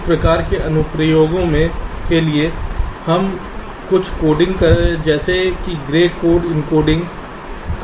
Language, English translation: Hindi, for these kind of applications we can use an encoding like something called gray code encoding